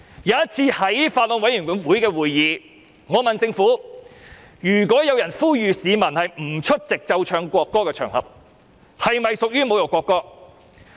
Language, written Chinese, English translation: Cantonese, 我曾在法案委員會會議上詢問政府，如果有人呼籲市民不出席奏唱國歌的場合，是否屬於侮辱國歌？, At the meeting of the Bills Committee I asked the Government whether it was an insult to the national anthem if a person called on the public not to attend an occasion where the national anthem was played